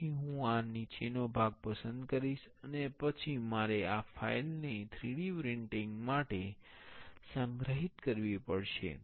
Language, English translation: Gujarati, So, I will select this bottom part, and then I have to save this file for 3D printing